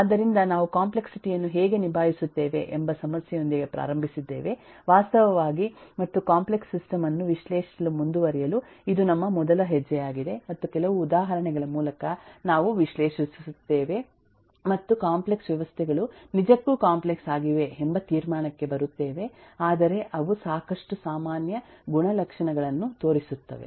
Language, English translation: Kannada, so we eh we started with the issue of how we actually handle complexity and this was our first step to eh go forward analyzing the complex system and eh, through some examples, eh we analyze and come to the conclusion that eh, while the complex systems are indeed complex, but they do show a lot common properties